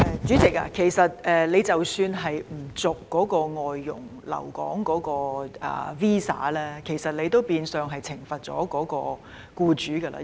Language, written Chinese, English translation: Cantonese, 主席，不延續有關外傭的留港 visa， 其實變相是懲罰他們的僱主。, President not extending the visas of FDHs for staying in Hong Kong is virtually a punishment of their employers